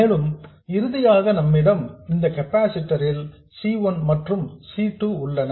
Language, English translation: Tamil, And finally we have this capacitor C1 and C2